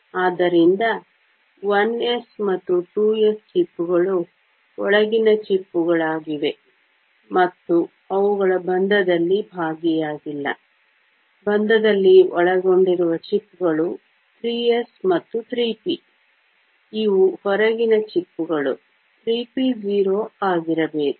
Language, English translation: Kannada, So, the 1 s and 2 s shells are the inner shells, and they are not involved in the bonding; the shells that are involved in bonding are 3 s and 3 p, these are the outer shells, should be 3 p 0